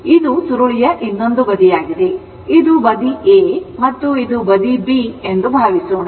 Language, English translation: Kannada, Suppose, this is your what you call this side is A and this side is B